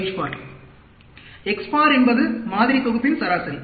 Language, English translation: Tamil, x bar is the average of the sample set